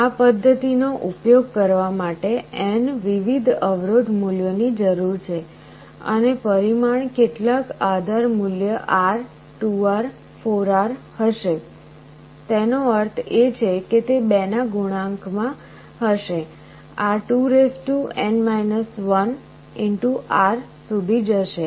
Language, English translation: Gujarati, This method requires n different resistance values to be used and the magnitudes will be some base value R, 2R, 4R; that means multiples of 2; this will go up to 2n 1 R